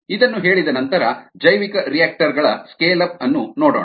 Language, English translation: Kannada, having said that, let us look at scale up of bioreactors